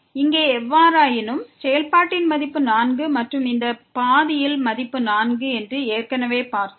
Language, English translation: Tamil, And in any case here the value of the function is 4 and we have already seen along this path the value is 4